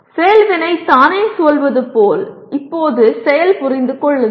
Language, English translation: Tamil, Now action is Understand as the action verb itself says